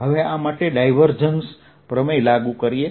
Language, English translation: Gujarati, so let us first take divergence theorem